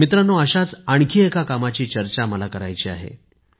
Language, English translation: Marathi, Friends, I would like to discuss another such work today